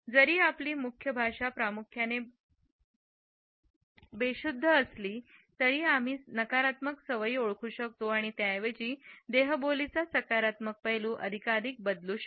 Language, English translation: Marathi, Even though, our body language is mainly unconscious we can identify certain negative habits and learn to replace them by a more positive aspect of body language